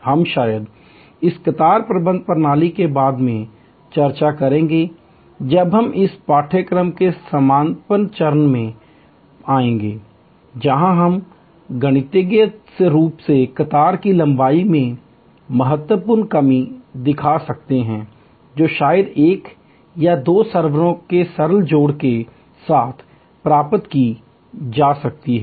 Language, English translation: Hindi, We will discuss perhaps the same queue management system later on when we come to the closing stage of this course, where we can mathematically show the significant reduction in queue length that can be achieved with simple addition of maybe one or two servers